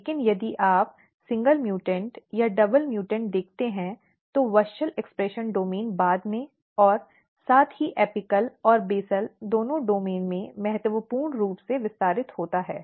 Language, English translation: Hindi, But if you look the single mutants or double mutants the WUSCHEL expression domain is significantly expanded both laterally as well as in the apical and basal domains